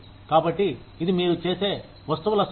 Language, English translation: Telugu, So, this is the number of, things that, you make